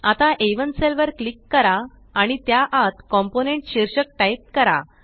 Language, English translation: Marathi, Now click on the cell referenced as A1 and type the heading COMPONENT inside it